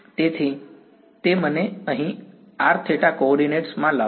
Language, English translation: Gujarati, So, that brought me over here in r theta coordinates